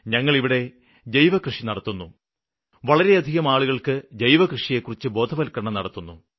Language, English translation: Malayalam, We do organic farming in our fields and also guide a lot of others regarding it